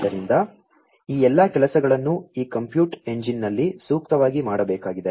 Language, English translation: Kannada, So, all of these things will have to be done appropriately in this compute engine